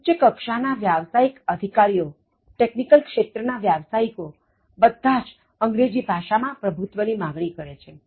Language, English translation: Gujarati, High level professionals, technical jobs, now all of them demand proficiency in English Language